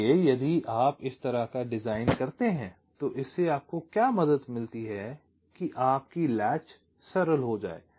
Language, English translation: Hindi, ok, so if you do this kind of a design, what it helps you in that is that your latches becomes simpler